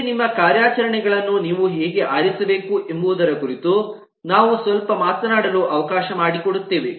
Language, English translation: Kannada, next we will let us talk a little bit about how should you should, choose your operations